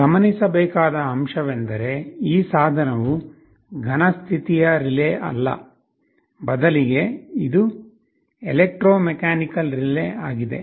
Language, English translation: Kannada, The point to notice is that this device is not a solid state relay, rather it is an electromechanical relay